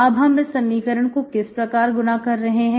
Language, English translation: Hindi, Now you are multiplying this equation like this